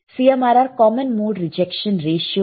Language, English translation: Hindi, CMRR is common mode rejection ratio right